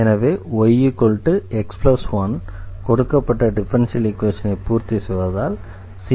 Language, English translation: Tamil, So, this is the solution this was satisfy this differential equation